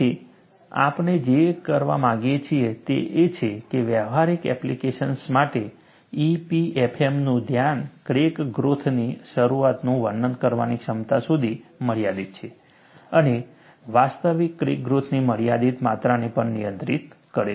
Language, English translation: Gujarati, So, what we want to do is, the focus of EPFM for practical applications is limited to the ability to describe the initiation of crack growth and also handle a limited amount of actual crack growth